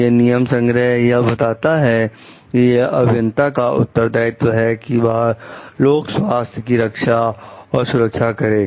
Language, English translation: Hindi, These code specifies that it is the responsibility to of the engineers to protect the public health and safety